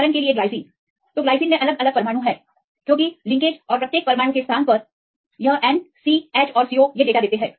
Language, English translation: Hindi, For example, glycine so they gave different atom types right because based on the linkage and the location of each atom this N, CT and CO; we give the data